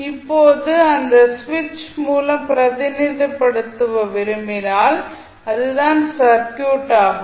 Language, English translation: Tamil, Now, if you want to represent through the switch this would be the circuit